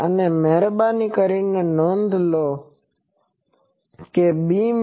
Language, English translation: Gujarati, And please note that there are two beams